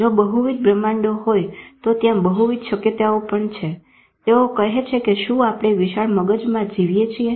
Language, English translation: Gujarati, If multiple universes are there multiple possibilities, they say, are we living in a giant brain